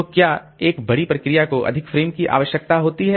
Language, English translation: Hindi, So, does a large process, does a large process need more frames